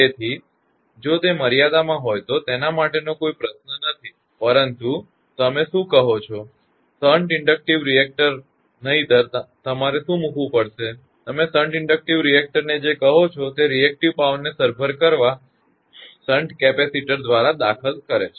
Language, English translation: Gujarati, So, no question of the putting your what you call shunt inductive reactors otherwise you have to put your; what you call in shunt inductive reactors, such that what you call it will compensate the reactive power, your injected by the your shunt charging shunt capacitor